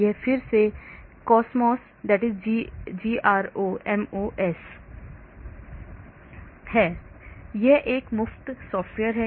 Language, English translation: Hindi, This is again GROMOS, it is a free software